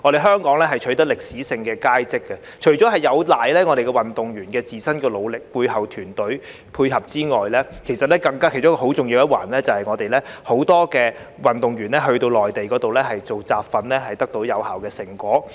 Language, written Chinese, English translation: Cantonese, 香港取得歷史佳績，除了有賴運動員自身努力和背後團隊的配合外，其中很重要的一環，就是很多運動員在內地進行集訓得到有效成果。, Apart from the athletes own efforts and the cooperation of the team behind them an important part of Hong Kongs historical success is the effective results of the training that many athletes have received on the Mainland